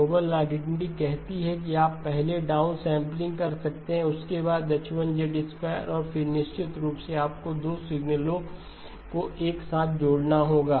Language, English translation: Hindi, Noble identity says you can do down sampling first followed by H1 of Z and then of course you have to add the 2 signals up together